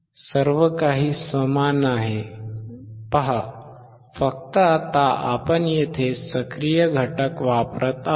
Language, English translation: Marathi, See everything is same, except that now we are using the active component